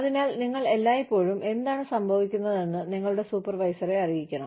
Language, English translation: Malayalam, So, you should always, let your immediate supervisor know, what is going on